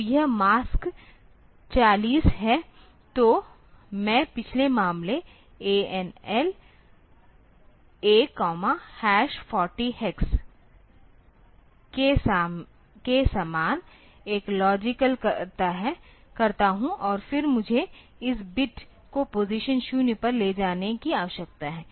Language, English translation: Hindi, So, I do an and logical similar to the previous case and logical A with hash 4 0 hex and then I need to take this bit to position 0